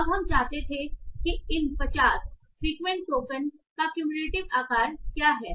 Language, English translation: Hindi, Now what we wanted is what is the cumulative size of these 50 frequent tokens